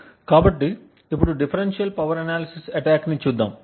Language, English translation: Telugu, So, now let us look at the differential power analysis attack